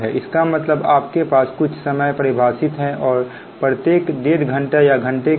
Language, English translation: Hindi, that mean you have a some time definition and take the load at every hour and half an hour, what say hour